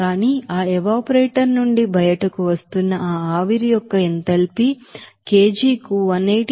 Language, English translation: Telugu, But you will see that enthalpy of that vapor which is coming out from that evaporator is 180